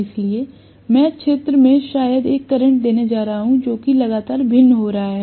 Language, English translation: Hindi, So, field I am going to give maybe a current, which is continuously varying